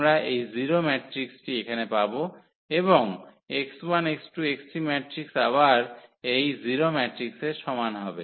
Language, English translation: Bengali, So, what we will get this 0 matrix here and x 1 x 2 x 3is equal to again the 0 matrix